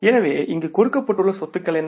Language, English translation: Tamil, So, what are the assets given here